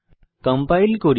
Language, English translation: Bengali, Let us compile